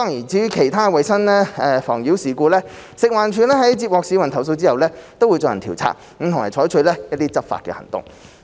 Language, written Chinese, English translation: Cantonese, 至於其他衞生妨擾事故，食環署在接獲市民投訴後會進行調查，並採取執法行動。, As for other hygiene nuisances upon receipt of complaints from the public FEHD staff will carry out investigation and take enforcement action as necessary